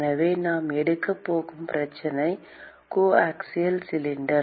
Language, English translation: Tamil, So, the problem we are going to take is coaxial cylinder